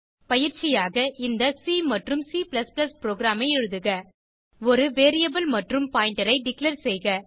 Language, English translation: Tamil, As an assignment, write a C and C++ program, To declare a variable and pointer